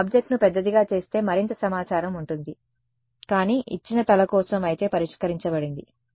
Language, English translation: Telugu, If I make the object bigger then there is more information, but if for a given head, fixed